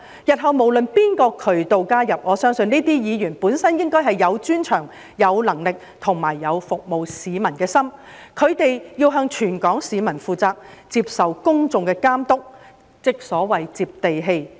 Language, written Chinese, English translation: Cantonese, 日後無論是從哪個渠道加入，我相信這些議員本身應該是有專長、有能力和有服務市民的心，他們要向全港市民負責，接受公眾的監督，即所謂"接地氣"。, I believe that in the future Members of the legislature irrespective of the channels by which they returned should have the expertise ability and heart to serve the public . They should be accountable to all the people of Hong Kong and subject to public scrutiny that is they should be down - to - earth